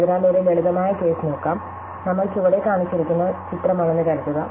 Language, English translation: Malayalam, So, let us look at a simple case, you supposing we are the picture that is shown below